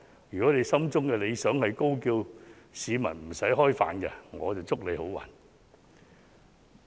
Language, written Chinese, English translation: Cantonese, 如果他心中的理想是高叫市民不用吃飯，我就祝他好運。, I wish him good luck if his ideal is to call on the people to forget their hunger